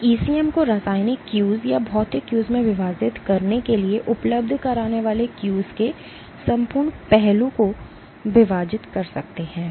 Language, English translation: Hindi, You can divide the entire gamut of cues that the ECM provides to sell in divide into Chemical Cues or Physical Cues